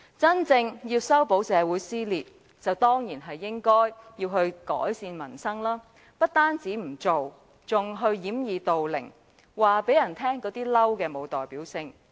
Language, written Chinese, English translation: Cantonese, 真正想修補社會撕裂，當然必須改善民生，但特首不單沒有這樣做，還要掩耳盜鈴，說這些"嬲"並沒有代表性。, If the Chief Executive really wants to mend the split of society he must improve peoples livelihood . But rather than doing so he chooses to deceive himself saying that all these Angrys cannot mean anything